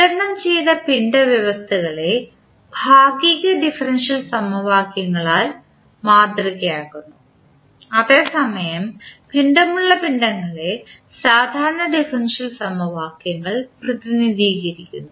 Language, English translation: Malayalam, The distributed mass systems are modeled by partial differential equations whereas the lumped masses are represented by ordinary differential equations